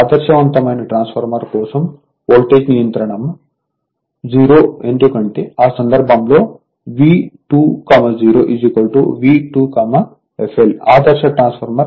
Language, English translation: Telugu, For an ideal transformer voltage regulation is 0 because in that case your V 2 0 is equal to your V 2 f l value is same thing because for ideal transformer right